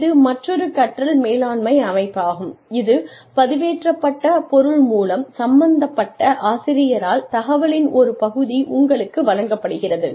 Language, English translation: Tamil, That is another learning management system, where part of the information is given to you, by the teacher concerned, through the material, that is uploaded